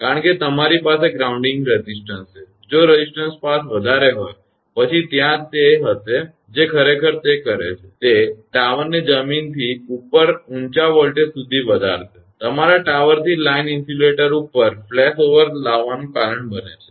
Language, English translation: Gujarati, Because you have grounding resistance, if the resistance path is high; then there will be what it does actually, it will raise the tower to a very high voltage above the ground; causing a flash over from the your tower over the line insulator